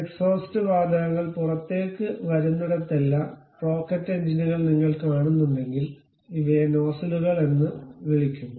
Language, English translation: Malayalam, If you are seeing rocket engines on back side wherever the exhaust gases are coming out such kind of thing what we call these nozzles